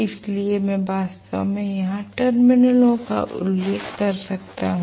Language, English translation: Hindi, So, I can actually mention the terminals here